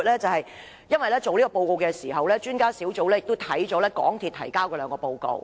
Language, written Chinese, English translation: Cantonese, 撰寫這份報告的時候，專家小組翻閱了港鐵公司提交的兩份報告。, When writing this report the Expert Panel had read the two reports submitted by MTRCL